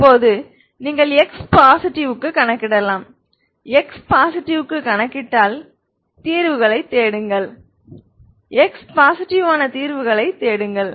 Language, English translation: Tamil, if you know now you can calculate for x positive if you calculate for x positive you look for solutions, you look for solutions who are x positive